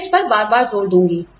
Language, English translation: Hindi, I will stress upon this, again and again